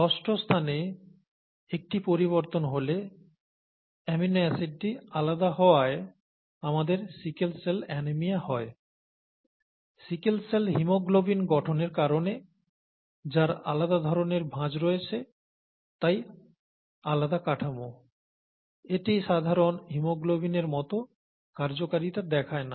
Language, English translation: Bengali, In the case of one change at the sixth position, the amino acid being different, we get sickle cell anaemia, that is because of sickle cell haemoglobin being formed, which has different folding and therefore different, it does not have the functionality that is associated with the normal haemoglobin